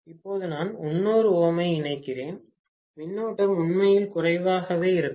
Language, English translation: Tamil, Now that I am connecting 300 ohms, the current will be negligible literally